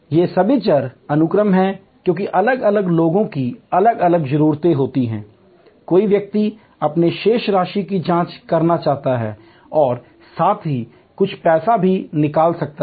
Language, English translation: Hindi, These are all variable sequence, because different people have different needs, somebody may be wanting to check their balance, somebody may want to check balance as well as draw some money